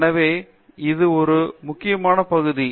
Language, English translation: Tamil, So, that’s another very important area